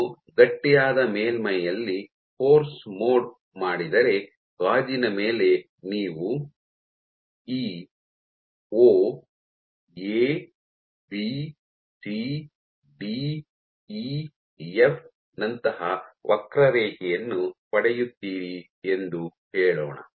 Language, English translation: Kannada, So, if you do force mode on a stiff surface, let us say like glass you would get a curve like this O, A, B, C, D, E, F